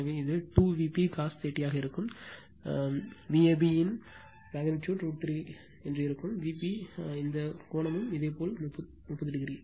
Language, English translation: Tamil, So, it will be 2 V p cos 30 that is magnitude of V a b will be root 3 V p and this angle is your 30 degree right